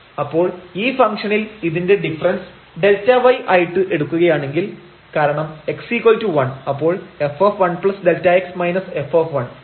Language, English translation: Malayalam, So, this function so, if we take this delta y as this difference because at x is equal to 1 so, 1 plus delta x minus f 1